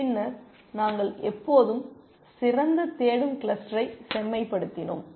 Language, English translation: Tamil, And then we always refined the best looking cluster